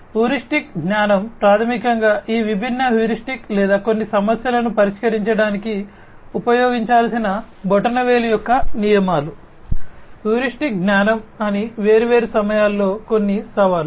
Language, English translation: Telugu, Heuristic knowledge is basically you know these different heuristics that will or the rules of thumb that will have to be used in order to address certain problems, certain challenges at different points of time that is heuristic knowledge